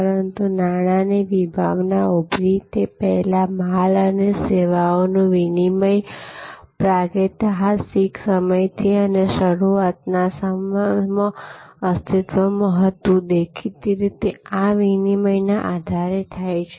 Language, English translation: Gujarati, But, long before the concept of money emerged, exchange of goods and services existed from prehistoric times and initially; obviously, these exchange is happened on the basis of barter